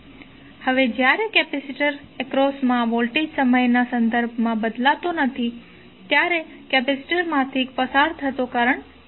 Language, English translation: Gujarati, Now, when the voltage across the capacitor is is not changing with respect to time the current through the capacitor would be zero